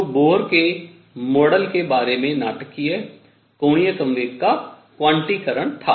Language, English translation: Hindi, So, dramatic about Bohr’s model was quantization of angular momentum